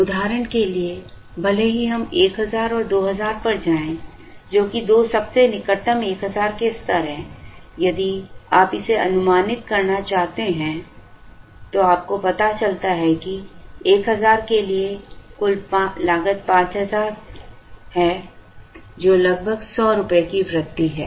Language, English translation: Hindi, For example, even if we go to 1000 and 2000, which is the two nearest 1000s, if you want to approximate this, you realize that for 1000, the total cost is 5000, which is about 100 rupees increase